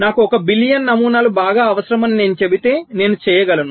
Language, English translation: Telugu, if i say that i need one billion patterns, fine, i can do that